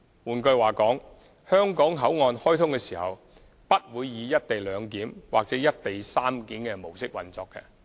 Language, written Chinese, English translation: Cantonese, 換句話說，香港口岸開通時不會以"一地兩檢"或"一地三檢"模式運作。, In other words upon commissioning HKBCF will not adopt a co - location mode of clearance arrangement